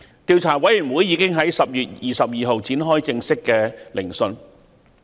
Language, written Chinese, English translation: Cantonese, 調查委員會已在10月22日展開正式聆訊。, Formal hearings by the Commission of Inquiry have already commenced on 22 October